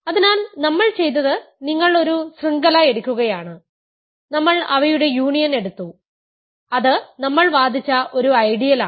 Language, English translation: Malayalam, So, what we have done is you are taking a chain; we took their union which is an ideal we argued